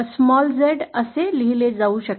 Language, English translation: Marathi, Small Z can be written like this